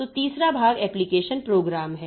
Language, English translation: Hindi, So, third part is the application programs